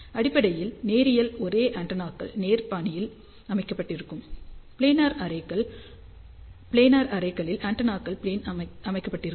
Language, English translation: Tamil, So, basically linear array is antennas arranged in the linear fashion, planar arrays will be antennas arranged in the plane